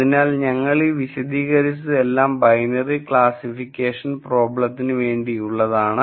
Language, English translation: Malayalam, So, all of this we described for binary classification problems